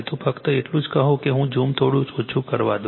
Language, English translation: Gujarati, So, just tell let me let me reduce the zoom little bit right